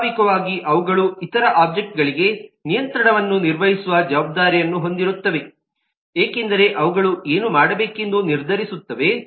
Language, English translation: Kannada, naturally they are responsible for handling control to other objects because they are deciding what needs to be done